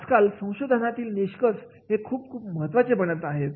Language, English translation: Marathi, Nowadays the research input is becoming very, very important